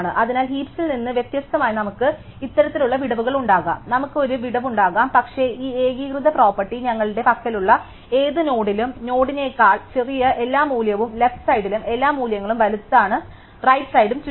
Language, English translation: Malayalam, So, we can have this kind of gaps unlike in heaps, we can have a gap, but we have this uniform property that at any node in the sub tree all the value smaller than the node are on the left, and all the values bigger are on the right